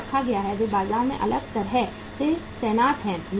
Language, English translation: Hindi, They are placed, they are positioned differently in the market